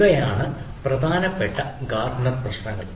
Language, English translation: Malayalam, so these are the ah major gartner ah issues